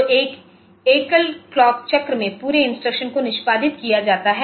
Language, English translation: Hindi, So, in a single clock cycle the entire instruction is executed